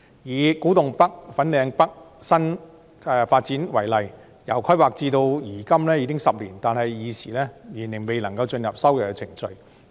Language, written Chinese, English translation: Cantonese, 以古洞北/粉嶺北新發展區為例，由規劃至今已經10年，但現時仍然未進入收地程序。, For example the planning of Kwu Tung NorthFanling North new development area was launched a decade ago but land resumption has yet to start